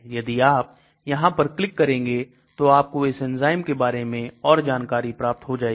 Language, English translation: Hindi, If you click on these we can find out more details about those enzymes